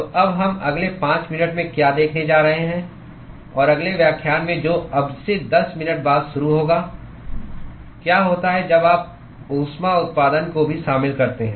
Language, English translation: Hindi, So, what we are going to see now in the next 5 minutes and in the next lecture which starts 10 minutes from now will be what happens when you include heat generation also